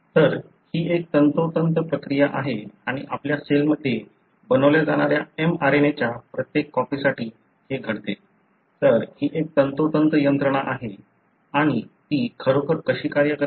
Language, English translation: Marathi, So, it is such a precise process and it happens for every copy of the mRNA that is being made in your cell; so, it is such a precise mechanism and how does it really work